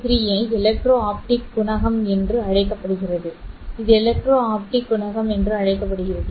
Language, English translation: Tamil, And R33 is called as the electro optic coefficient